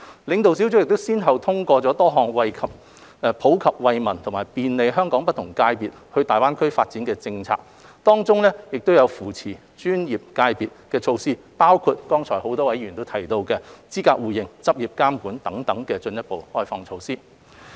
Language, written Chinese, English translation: Cantonese, 領導小組先後通過多項普及惠民及便利香港不同界別到大灣區發展的政策，當中有扶持專業界別的措施，包括剛才很多議員提及的資格互認、執業監管等方面的進一步開放措施。, The Leading Group has endorsed a number of policies which would benefit Hong Kong people from all walks of life and facilitate the development of Hong Kongs professional sectors in GBA among which are policy initiatives to support the professional sectors including further liberalization initiatives in such aspects as mutual recognition of qualifications and regulation of practice as mentioned by various Members just now